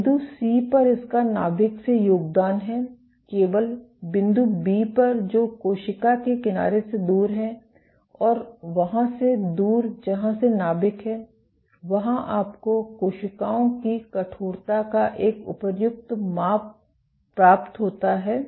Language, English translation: Hindi, At point C, it has contributions from the nucleus; only at point B, which is far from the cell edge and far from where the nucleus is you get an appropriate measure of cells stiffness